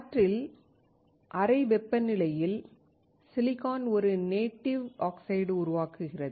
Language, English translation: Tamil, Room temperature silicon in air creates a ‘native oxide’